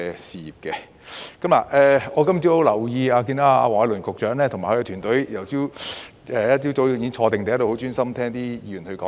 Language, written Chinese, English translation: Cantonese, 我今天早上留意到，黃偉綸局長及其團隊早上已在座專注聆聽議員的發言。, I noticed this morning that Secretary Michael WONG and his team have been present for the whole morning and listening attentively to the speeches of Members